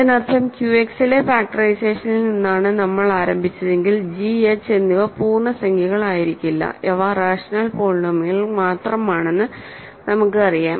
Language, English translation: Malayalam, That means, if we started with the factorization in Q X a priori g and h may not be integer polynomials we may have that they are only rational polynomials